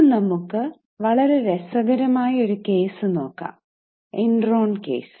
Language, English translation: Malayalam, Today we will discuss about a very interesting case which is known as case of Enron